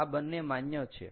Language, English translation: Gujarati, both of these are valid